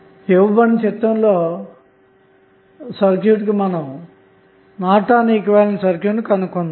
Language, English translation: Telugu, So, the circuit which is given in the figure we need to find out the Norton's equivalent of the circuit